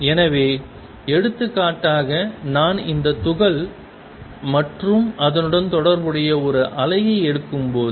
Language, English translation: Tamil, So, for example, when I take this particle and a wave associated with it